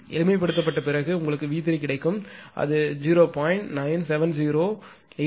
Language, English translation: Tamil, If you simplify, you will get V 2 is equal to 0